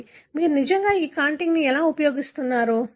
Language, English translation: Telugu, So, how do you really use this contig